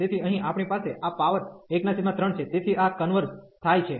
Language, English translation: Gujarati, So, here we have this power 1 by 3, so this converges